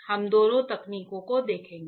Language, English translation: Hindi, We will see both the techniques